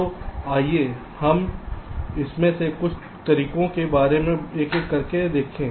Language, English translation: Hindi, ok, so let us look at some of these methods one by one